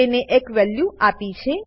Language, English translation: Gujarati, And I have assigned a value to it